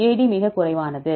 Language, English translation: Tamil, AD is the lowest one